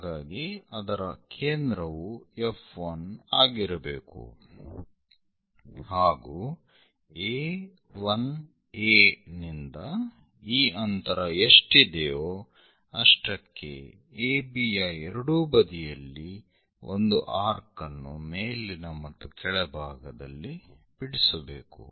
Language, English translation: Kannada, So, centre has to be F 1, but the distance is A 1 A to one whatever the distance make an arc on top and bottom on either sides of AB